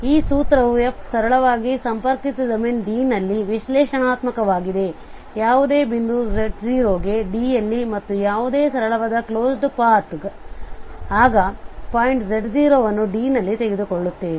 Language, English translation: Kannada, So what this formula says that if f is analytic in a simply connected domain D, so the similar assumptions what we have for Cauchy theorem then for any point z 0 in D and any simple closed path C we take in D that encloses this point z 0